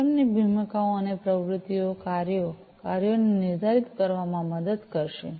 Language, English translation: Gujarati, The roles and the activities of the system will help in defining the task, the tasks to be performed